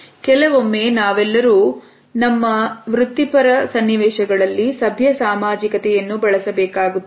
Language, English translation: Kannada, Sometimes all of us have to use polite socialize in our professional settings